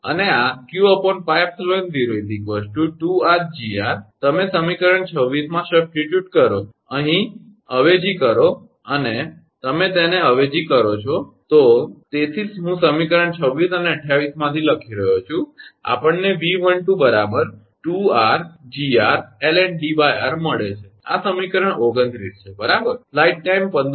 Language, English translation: Gujarati, And this q upon pi epsilon will 2 r Gr you substitute in equation 26, here substitute if you substitute that, is why I am writing from equation 26 and 28, we get V12 is equal to 2 r into Gr l n d upon r this is equation 29 right